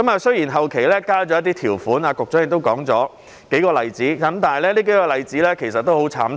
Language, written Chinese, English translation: Cantonese, 雖然後期加入了一些條款，局長亦舉出了數個例子，但這些例子其實也很慘痛。, Although some provisions were subsequently added and the Secretary has cited several examples these examples are actually rather painful